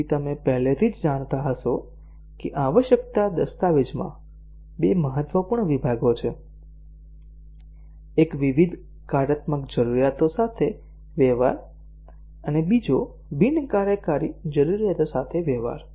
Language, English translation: Gujarati, So as you might already know that in a requirements document, there are two important sections; one dealing with various functional requirements, and the other dealing with the non functional requirements